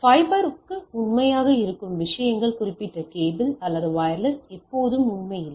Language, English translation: Tamil, The things which is true for fiber are not true for not always true that particular true for cable or wireless and type of things right